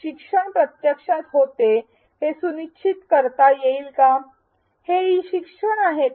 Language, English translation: Marathi, Will that ensure that learning actually happens where this e learning